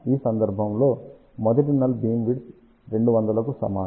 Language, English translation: Telugu, In this case first null beamwidth is equal to 20 degree